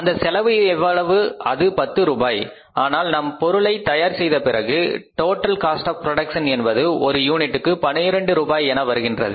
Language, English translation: Tamil, But when we manufactured the product we have found that the total cost of the production is 12 rupees per unit